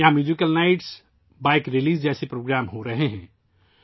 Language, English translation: Urdu, Programs like Musical Night, Bike Rallies are happening there